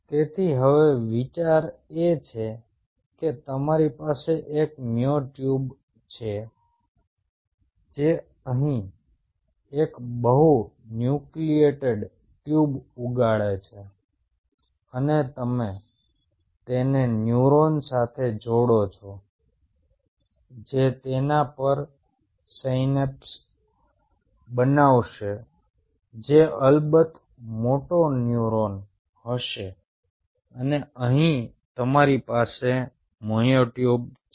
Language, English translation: Gujarati, ok, so now the idea is you have a myotube growing out here, a multinucleated tube, and somewhere or other you integrate it with a neuron which will be forming synapses on it, which will be, of course, a moto neuron